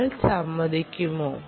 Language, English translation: Malayalam, would you agree